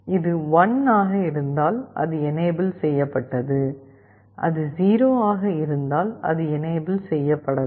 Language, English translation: Tamil, If it is 1, it is enabled, if it is 0, it is not enabled